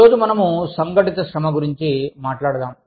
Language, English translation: Telugu, Today, we will talk about, organized labor